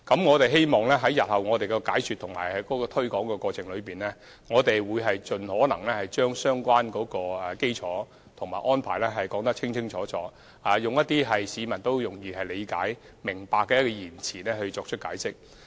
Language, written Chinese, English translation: Cantonese, 我們希望在日後的解說和推廣過程中，能盡可能把相關的基礎和安排說個清楚明白，以市民易於理解的言詞作出解釋。, We hope that in the course of explaining and promoting our proposals in the future our efforts will be backed up by a very clear elaboration on the relevant legal basis and arrangement in a language that is easily comprehensible to ordinary members of the public